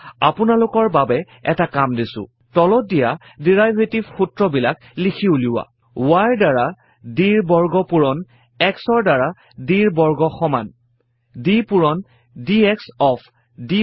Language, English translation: Assamese, Here is an assignment for you: Write the following derivative formula: d squared y by d x squared is equal to d by dx of